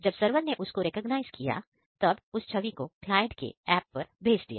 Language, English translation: Hindi, After the server recognized it, it send back to this client app